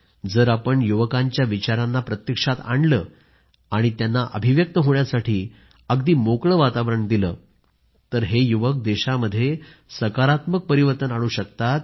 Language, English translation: Marathi, If we put these ideas of our youthinto practice and provide them conducive environment to express themselves, they surely will bring about a constructive and a positive change in the country they are already doing so